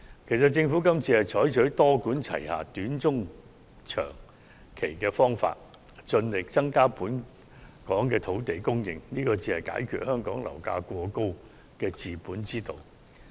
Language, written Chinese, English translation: Cantonese, 其實，政府今次是採取多管齊下的短、中、長期方法，盡力增加本港的土地供應，這才是解決香港樓價過高的治本之道。, As a matter of fact the Government has adopted a multi - pronged approach and formulated short medium and long term measures to increase land supply in Hong Kong as far as possible and this is a correct way of tackling the root of the problem of exorbitant property prices